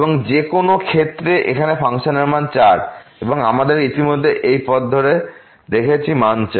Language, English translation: Bengali, And in any case here the value of the function is 4 and we have already seen along this path the value is 4